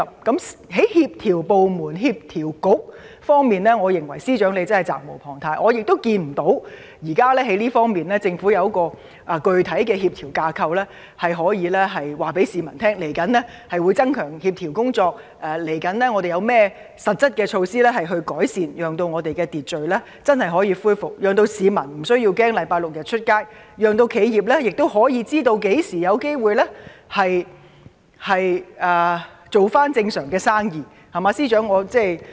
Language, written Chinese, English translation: Cantonese, 在協調各部門及政策局方面，我認為司長責無旁貸，但我看不到現時政府可以告訴市民，它在這方面有何具體的協調架構，未來會增強協調工作，未來又會有甚麼實質改善措施，讓社會能真正恢復秩序，讓市民周六日上街無須懼怕，亦可讓企業知道何時有機會回復正常，可安心做生意，對嗎？, I think the Chief Secretary is duty - bound to coordinate various departments and Policy Bureaux . Yet I fail to see that the Government has specific framework to strength the coordination or that it has formulated specific improvement measures to truly restore public order in future so that people will have no fears in going out during weekends and enterprises will know when business will return to normal and feel at ease in doing business